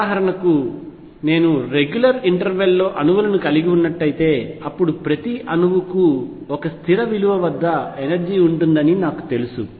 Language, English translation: Telugu, For example, if I have atoms like searing on regular interval a then I know that each atom has an energy at a fixed value